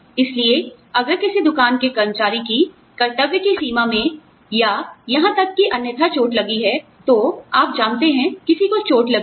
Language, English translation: Hindi, So, if a shop floor worker gets hurt, in the line of duty, or even otherwise, you know, somebody is hurt